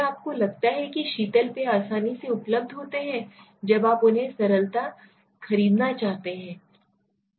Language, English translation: Hindi, Do you think soft drinks are readily available when you want to buy them simple right